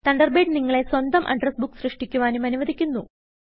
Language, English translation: Malayalam, Thunderbird also allows you to create your own address book